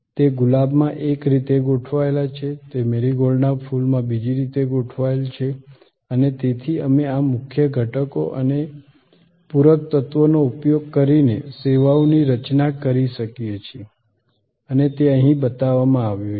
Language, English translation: Gujarati, It is arranged in one way in Rose, it is arranged in another way in a Marigold flower and therefore, we can design services by using these core elements and the supplement elements different ways and that is shown here